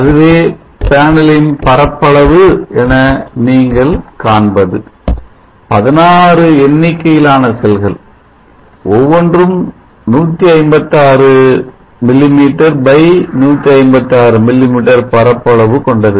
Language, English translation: Tamil, So you see the area of the panel is 16 numbers of the cells each having 156 mm x 156 mm area so let us convert them to meters so it is 16 x 0